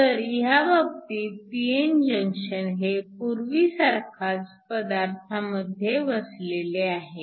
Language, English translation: Marathi, So, in this case your p n junction is still between the same materials